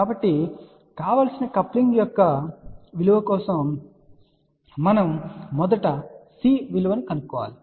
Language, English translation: Telugu, So, for the desired value of coupling we first find the numeric value of C